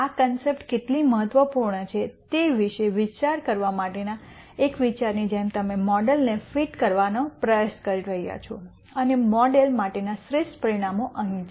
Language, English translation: Gujarati, Just as a idea for you to think about how important these concepts are and you are trying to fit a model and the best parameters for the model are here